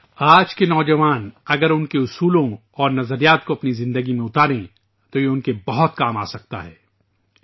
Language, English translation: Urdu, If the youth of today inculcate values and ideals into their lives, it can be of great benefit to them